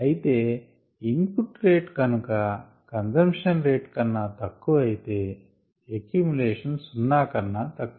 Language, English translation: Telugu, and if the rate of input equals the rate of consumption, then the accumulation rate is zero